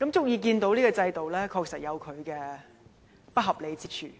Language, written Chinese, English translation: Cantonese, "由這個個案可知，現行制度確實有不合理之處。, From this case we can see the unreasonableness of the system